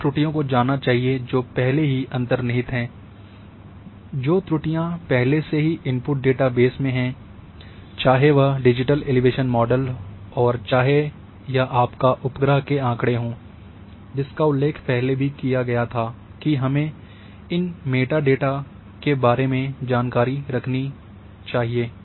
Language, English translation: Hindi, So, we must know the errors which are already inherent errors which are already errors in input datasets, whether it is digital elevation model and your satellite data, also mentioned earlier that we must also have the information about the data that is the meta data